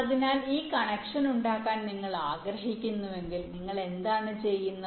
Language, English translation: Malayalam, so if you want to make this connection, what to do